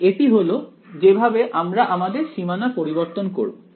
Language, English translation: Bengali, So, that is that is how we will modify these boundaries ok